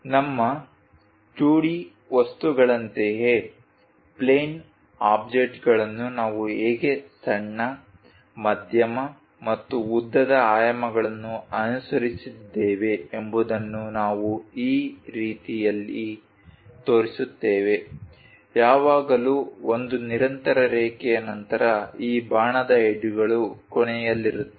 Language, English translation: Kannada, Similar to our 2D objects, plane objects how we have followed smallest, medium and longest dimensions we show it in that way, always a continuous line followed by this arrow heads terminating